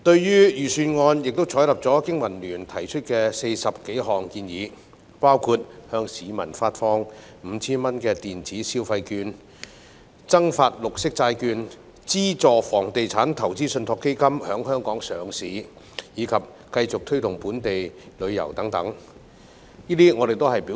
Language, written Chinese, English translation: Cantonese, 預算案採納了經民聯提出的40多項建議，包括向市民發放 5,000 元電子消費券、增發綠色債券、資助房地產投資信託基金在香港上市，以及繼續推動本地旅遊等。, The Budget has adopted more than 40 proposals put forward by the Business and Professionals Alliance for Hong Kong BPA including issuing 5,000 electronic consumer vouchers to the public; issuing additional green bonds; subsidizing the listing of Real Estate Investment Trusts in Hong Kong and continuously promoting local tourism